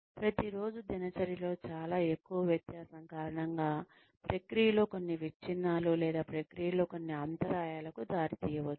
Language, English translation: Telugu, Too much of a difference from the routine, may result in, some breakages of process or some interruptions in the process